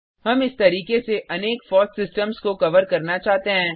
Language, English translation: Hindi, We wish to cover many FOSS systems through this route